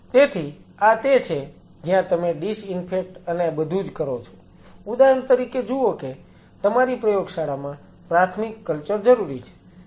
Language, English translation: Gujarati, So, this is where you have the disinfect and everything see for example, your lab has a primary culture needed